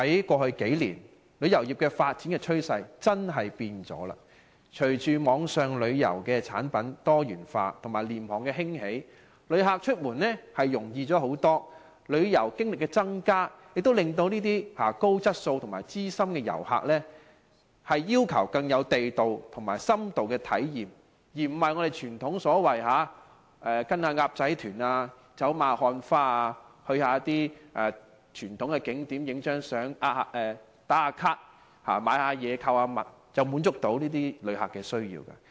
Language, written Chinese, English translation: Cantonese, 過去數年，旅遊業發展的趨勢的確改變了，隨着網上旅遊產品多元化和廉價航空興起，旅客出門容易很多，旅遊經歷增加，令高質素的資深旅客要求更地道更有深度的體驗，而不是傳統的跟"鴨仔團"走馬看花，去一些傳統景點拍一兩張照、"打卡"、購物，便可以滿足到這些旅客的需要。, With more diversified online tourism products and the emergence of inexpensive flights travelling abroad has become easier . People now have more enriched tourism experiences and veteran travellers may cherish more localized and in - depth experience . The traditional travelling mode of joining tours for casual sightseeing take a few pictures at famous attractions check in on Facebook and shop around can no longer satisfy the needs of these visitors